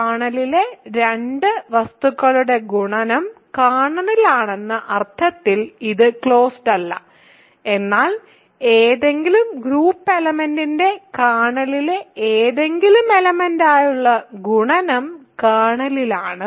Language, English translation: Malayalam, It is not just closed in the sense that to multiplication product of two things in kernel is in the kernel, but product of something in the kernel by any group element is in the kernel ok